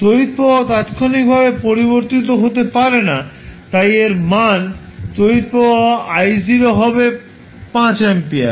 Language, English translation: Bengali, The current cannot change instantaneously so the value of current I naught will be 5 ampere